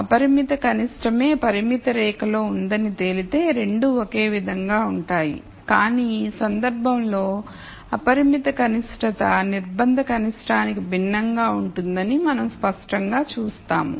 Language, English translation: Telugu, If it turns out that the unconstrained minimum itself is on the constraint line then both would be the same, but in this case we clearly see that the unconstrained minimum is di erent from the constrained minimum